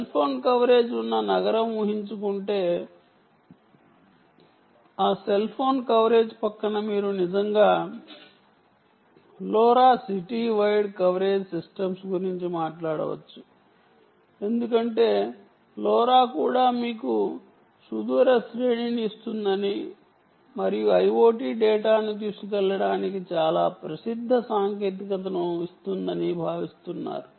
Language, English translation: Telugu, beside that cell phone coverage you can actually be talking about a lora city wide coverage systems, because lora is also expected to give you a long range and quite a popular ah, popular technology for um carrying i o t data